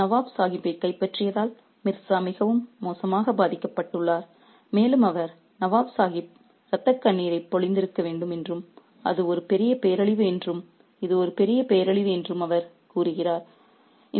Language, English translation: Tamil, So, Mirza is terribly apparently affected by the capture of Nawab Sahib and he says that the Nawab Sahib must be shedding tears of blood and it's a great calamity, it's a massive calamity